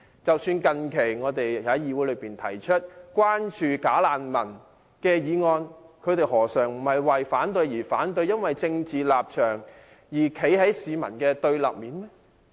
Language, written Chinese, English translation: Cantonese, 即使我們最近在議會提出有關"假難民"的議案，他們何嘗不是為反對而反對，不惜為了一己的政治立場而站在市民的對立面？, Even in the case of the motion on bogus refugees we moved in this Council recently they likewise opposed it for the sake of opposing it due to their own political stance even at the price of antagonizing the people